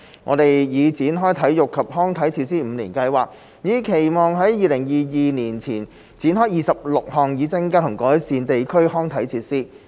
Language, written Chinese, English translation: Cantonese, 我們已展開體育及康樂設施五年計劃，以期在2022年前展開26項，以增加和改善地區康體設施。, We have introduced the Five - Year Plan for Sports and Recreation Facilities with a view to launching 26 projects by 2022 to develop new and improve existing sports and recreation facilities in different districts